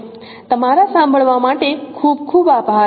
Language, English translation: Gujarati, Thank you very much for your listening